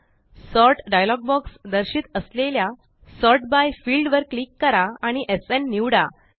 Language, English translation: Marathi, In the Sort dialog box that appears, click the Sort by byfield and select SN